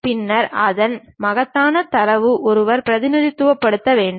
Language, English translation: Tamil, Then, its enormous amount of data one has to really represent